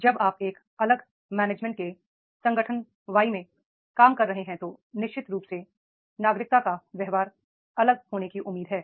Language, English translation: Hindi, When you are working into the organization Y of the different management, then definitely the citizenship behavior is expected to be different